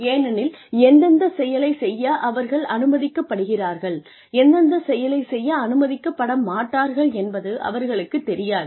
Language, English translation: Tamil, Because, they do not know, what they are allowed to do, and what they are not allowed to do